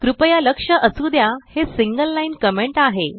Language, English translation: Marathi, Please note this is a single line comment